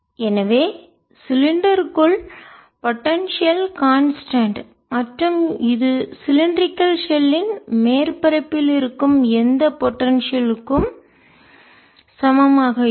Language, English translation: Tamil, so inside the cylinder potential is constant and which is would be equal to whatever potential would be on the surface of the cylindrical shell